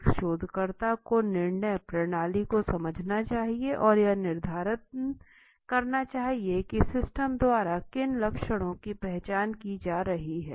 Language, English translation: Hindi, A researcher must understand the control system and determine what symptoms are being identified by the system